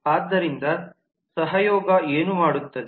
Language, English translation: Kannada, so what the collaboration does